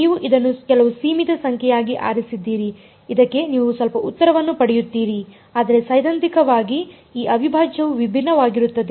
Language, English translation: Kannada, You chose it to be some finite number you will get some answer to this, but theoretically this integral is divergent